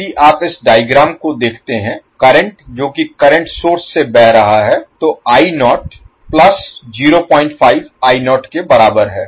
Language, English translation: Hindi, If you see this particular figure the value of current which is flowing through the current source is equal to the I naught plus 0